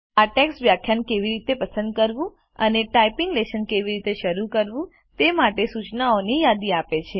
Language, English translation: Gujarati, This text lists instructions on how to select the lecture and begin the typing lessons